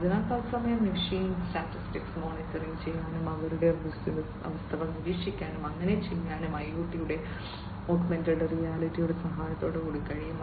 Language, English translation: Malayalam, So, real time machine status monitoring can be done their, their conditions can be monitored and so on with the help of IoT and augmented reality